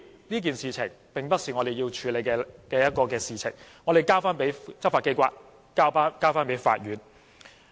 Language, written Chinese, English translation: Cantonese, 這件事情並不是我們要處理的，我們應該交由執法機構和法院處理。, This matter is not for us to handle and we should leave it to the law enforcement agency and the Court to do so